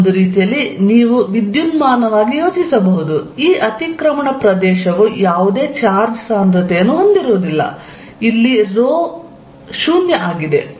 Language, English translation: Kannada, In a way you can think electrically this overlap region also to have no charge density, rho is 0